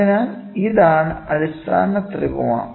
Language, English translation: Malayalam, So, this is a triangle